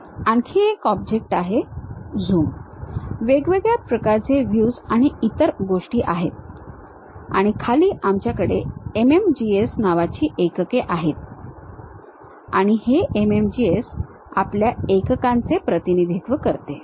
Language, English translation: Marathi, There is another object here Zoom, Views and other things are located, and bottom we have units something named MMGS and this MMGS represents our units